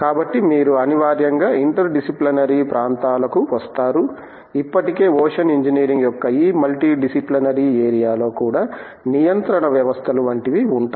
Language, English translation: Telugu, So, you inevitably come to interdisciplinary areas, even in this already multidisciplinary area of ocean engineering that would be in terms of control systems etcetera